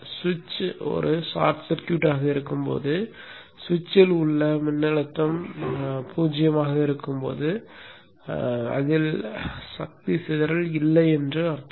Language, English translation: Tamil, means that when the switch is a short circuit in that case the voltage across the switch is zero, there is no power dissipation